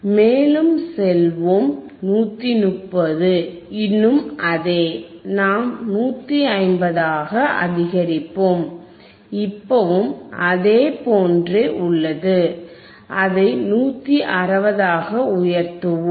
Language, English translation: Tamil, Llet us go further, let us make 130; 130 still same, let us make 150 still same, let us increase it to 160